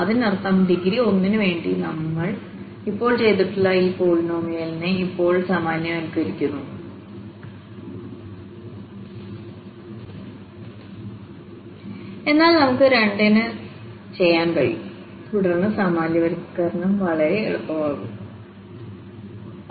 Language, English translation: Malayalam, That means, now generalizing just this polynomial which we have just done for degree 1, but we can do for 2 and then generalization will be much easier